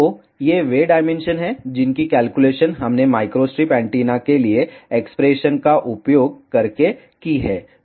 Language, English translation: Hindi, So, these are the dimensions we have calculated using the expression for micro strip antenna